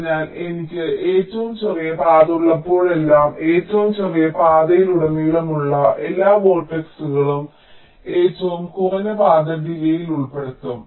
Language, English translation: Malayalam, ok, so whenever i have a shortest path, all the vertices along the shortest path also will be included in the shortest path delay